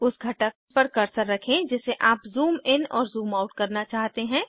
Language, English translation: Hindi, Keep Cursor on Component which you want to zoom in and zoom out